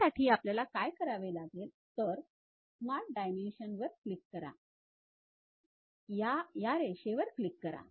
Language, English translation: Marathi, For that purpose what we do is, click Smart Dimension, click this line